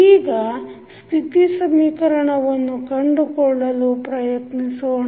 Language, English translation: Kannada, Now, let us try to find out the state equation